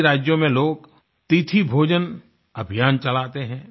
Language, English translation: Hindi, In many states, people run meal campaigns on certain dates